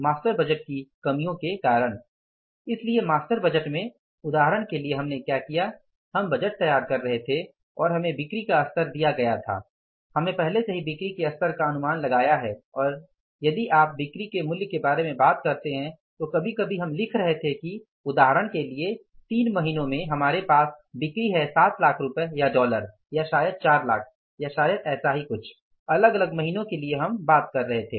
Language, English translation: Hindi, So, we will be going ahead today with the say a detailed discussion on flexible budgets so why we need the flexible budgets because of the limitations of the master budget so in the master budget for example what we did say we were preparing the budgets and we were given the sales level we have already forecasted the level of sales and if you talk about the value of the sales sometime we were writing that say for example in the months, we have the sales of say 7 lakh rupees or dollars or maybe 4 lakhs or maybe something like that for the different months we were talking about